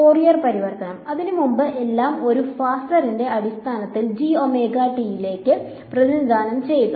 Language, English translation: Malayalam, Fourier transform; before that represent everything in terms of a phasor right into the g omega t